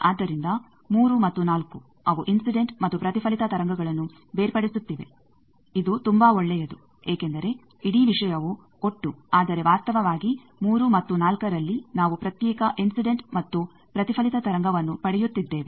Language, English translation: Kannada, So, 3 and 4 they are separating the incident and reflected wave a very good thing because though the whole thing is total, but actually in 3 and 4 we are getting separated incident and reflected wave